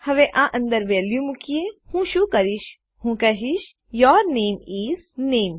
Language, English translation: Gujarati, Now, putting a value in, what Ill do is Ill say your name is name